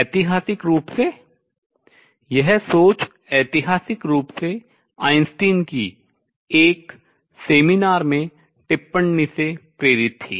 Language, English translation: Hindi, Historically is this thinking has been historically was inspired by remark by Einstein in seminar